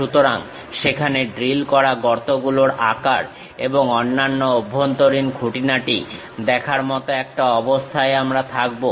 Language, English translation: Bengali, So, that we will be in a position to really see the drilled hole size and other interior details